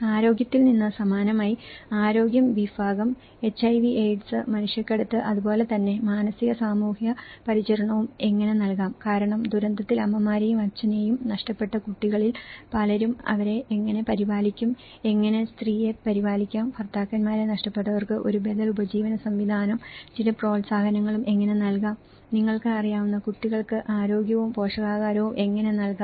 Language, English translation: Malayalam, From the health similarly, the health segment, HIV AIDS, trafficking as well as psychosocial care you know, so because many of the children who lost their mothers, fathers in the event of disaster, how they could be taken care of, how the woman who lost their husbands could be given some encouragement of an alternative livelihood systems and how health and nutrition could be provided for children you know